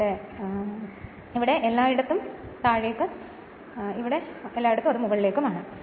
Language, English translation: Malayalam, So, the here every where downward everywhere it is upward